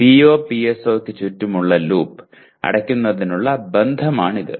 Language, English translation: Malayalam, So this is the relationship for closing the loop around PO/PSO